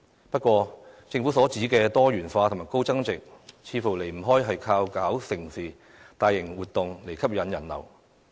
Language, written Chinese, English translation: Cantonese, 不過，政府所指的"多元化"和"高增值"，似乎離不開藉着舉辦"盛事"及大型活動來吸引人流。, Yet diversified and high value - added development seems to be necessarily linked with the approach of attracting visitor flows through staging mega and large - scale events according to the Government